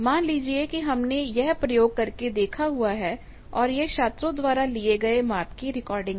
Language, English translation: Hindi, Let us say we have done this experiment let us say this is recording of one of those students here measured